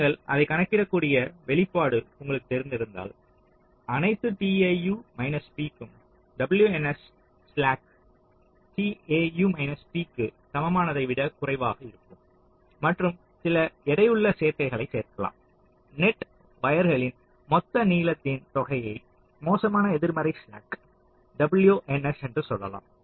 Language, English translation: Tamil, so w n s will be less than equal to slack tau p for all tau p, and you can make some weighted combinations: sum of the total length of the net wires and let say, the worst negative slack w n s